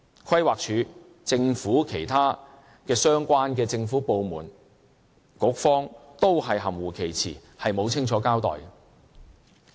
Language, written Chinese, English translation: Cantonese, 規劃署、其他相關的政府部門和局方都含糊其辭，沒有清楚交代。, PlanD other related government departments and the Bureau only gave ambiguous responses without any clear explanation